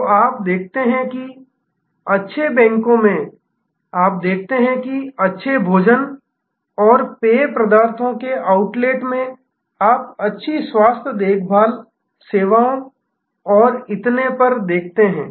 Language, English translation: Hindi, So, you see that in good banks, you see that in good food and beverage outlets, you see that in good health care services and so on